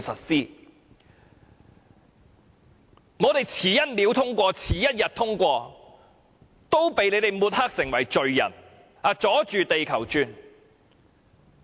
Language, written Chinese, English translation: Cantonese, 只要我們延遲1秒或1天通過《條例草案》，也會被抹黑成為罪人，說我們"阻住地球轉"。, If the passage of the Bill is delayed for one second or one day we would be labelled as sinners saying that we threw a spanner in the works